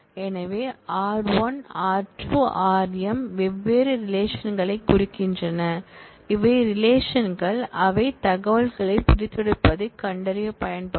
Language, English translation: Tamil, So, r1, r2, rm represent different relations and these are the relations, which will be used to actually find the information extract the information